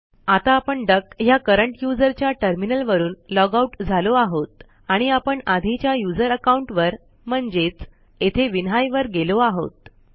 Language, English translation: Marathi, Now the terminal logs out from the current user duck and comes back to the previous user account, which is vinhai in our case